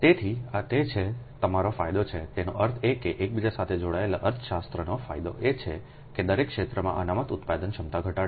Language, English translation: Gujarati, that means economics advantage of interconnection is to reduce the reserve generation capacity in each area